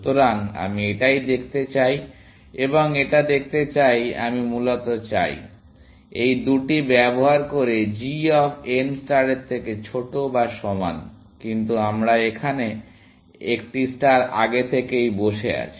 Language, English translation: Bengali, So, I want to look at this one, and this one, see I want basically, this g of n is less than equal to g star of n using these two, but I have a star sitting there